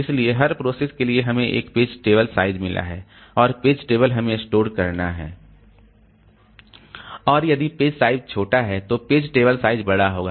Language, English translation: Hindi, So for every process we have got a page table size and page table has to be stored and if the page size is small then the page table size will be large